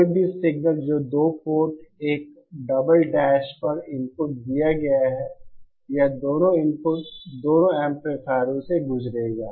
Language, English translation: Hindi, Any signal that is inputted at Port 1 double dash, it will travel to both the inputs, both the amplifiers